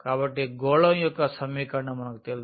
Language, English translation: Telugu, So, we know the equation of the sphere